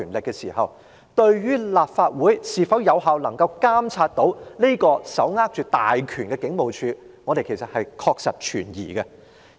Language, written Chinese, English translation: Cantonese, 那麼，我們對立法會是否能夠有效監察這個手握大權的警務處確實是存疑的。, In this way we remain doubtful as to whether the Legislative Council can effectively monitor the Police Force holding such powerful authority